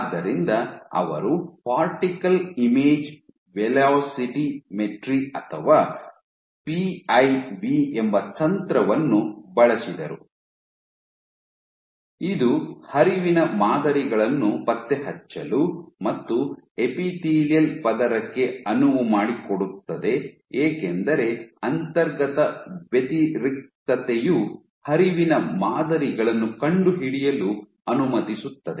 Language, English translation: Kannada, So, they used a technique called particle image velocimetry or PIV that allows us to track flow patterns and for an epithelial layer because there is inherent contrast the contrast itself allows us to detect flow patterns